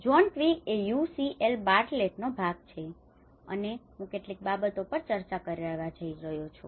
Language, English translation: Gujarati, John Twigg, he is part of the UCL Bartlett, and I am going to discuss a few things